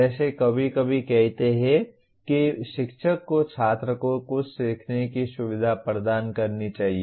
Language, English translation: Hindi, Like sometimes saying the teacher should like facilitate the student to learn something